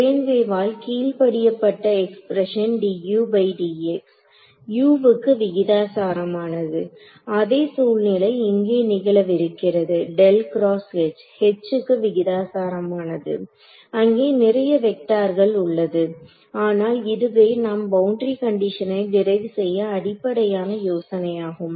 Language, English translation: Tamil, The expression obeyed by a plane wave d u by d x was proportional to u exactly the same situation is going to happen over here curl of H proportional to H of course, there are more vectors and all over here, but this is the basic idea that we will use to derive the boundary condition ok